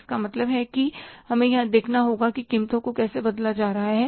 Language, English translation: Hindi, So, it means we have to see here that how the prices are being changed